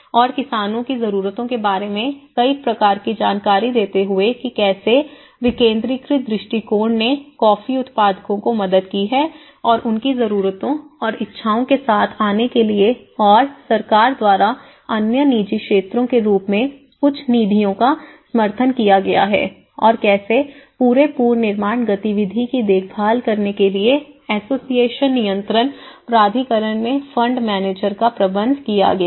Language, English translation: Hindi, And also giving a variety of to the farmers needs and you know how the decentralized approach will have helped the coffee growers and to come up with their needs and wants and certain fund supports have been provided by the government and as other private sectors and how the association become a manager of fund manager in the controlling authority to look after the whole reconstruction activity